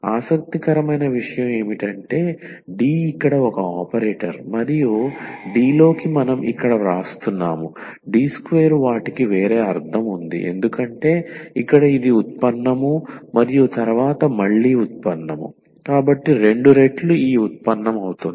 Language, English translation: Telugu, So, what is interesting though D is a operator here and D into D which is we are writing here D square they have a different meaning because here it is a derivative and then again derivative, so two times this derivative